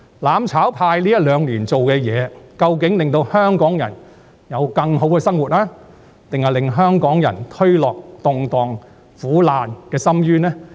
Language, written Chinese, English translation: Cantonese, "攬炒派"在這一兩年所做的事情，究竟是令香港人有更好的生活，抑或是把香港人推落動盪和苦難的深淵呢？, The actions of the mutual destruction camp in recent couple of years have actually improved the life of Hong Kong people or pushed them into an abyss of turmoil and hardships?